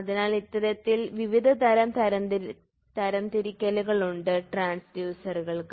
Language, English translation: Malayalam, So, these are so many different types of classification of transducer